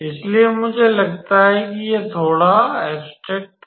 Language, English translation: Hindi, So, I think it was a little bit abstract